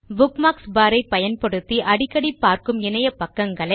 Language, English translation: Tamil, Bookmarks help you navigate to pages that you visit or refer to often